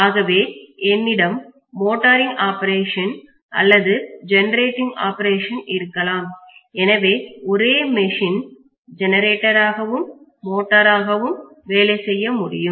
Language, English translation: Tamil, So I can have either motoring operation or generating operation, the same machine can work as both generator as well as motor